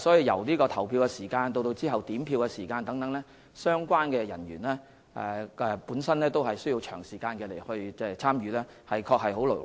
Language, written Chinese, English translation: Cantonese, 由投票時間開始直到點票時間結束，相關人員需要長時間參與，的確很勞累。, As the relevant personnel need to work long hours from the start of the polling hours to the end of the counting time they are bound to be fatigued